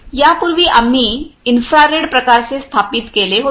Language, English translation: Marathi, Earlier we are installed we were installed infrared type